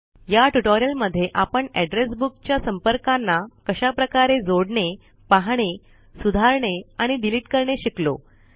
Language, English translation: Marathi, In this tutorial we learnt how to add, view, modify and delete contacts from the Address Book